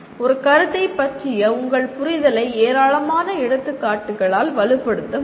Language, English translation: Tamil, Your understanding of a concept can be reinforced by a large number of examples